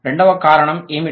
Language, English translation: Telugu, What was the second reason